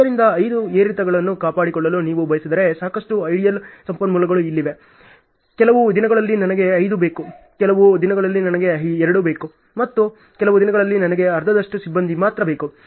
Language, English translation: Kannada, So, lot of know idle resources are here if you want to maintain the five fluctuations are there, some days I need 5, some days I need 2 and some days I need only half of the crew and so on